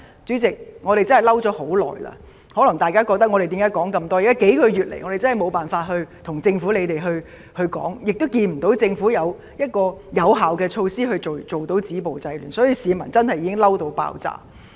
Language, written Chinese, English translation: Cantonese, 主席，我們真的憤怒很久了，大家可能問為何我們要說這麼多，這是因為近數月以來，我們實在無法向政府表達，亦看不到政府採取有效止暴制亂的措施，市民確實已"嬲到爆炸"。, Members may ask why we have to speak at length . It is because for the past few months there has really been no way for us to express our views to the Government nor can we see the Government taking measures to stop violence and curb disorder . The public have been fuming with rage indeed